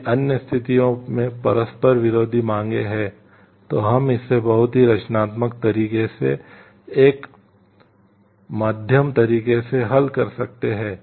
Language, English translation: Hindi, If in other situations there are conflicting demands, we can solve it by taking a middle way in a very creative way